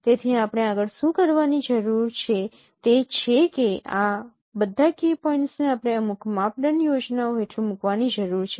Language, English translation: Gujarati, So what we need to do next that all these key points we need to put them under some quantization schemes